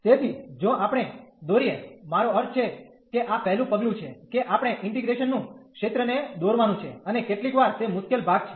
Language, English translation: Gujarati, So, if we draw I mean this is the first step that we have to draw the region of integration, and sometimes that is the difficult part